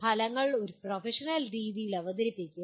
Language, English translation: Malayalam, Present the results in a professional manner